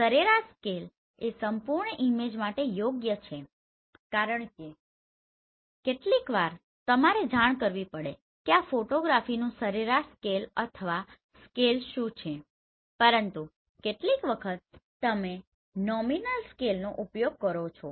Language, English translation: Gujarati, So average scale is for the whole image right because sometimes you have to report what is the average scale or the scale of this photography, but sometimes you have use nominal scale